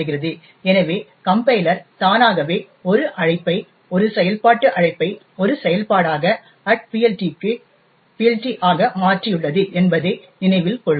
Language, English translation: Tamil, So, note that the compiler has automatically changed a call, a function invocation to this, to a function, the function invocation at PLT